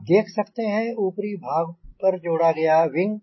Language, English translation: Hindi, you can see the wing attach on the higher side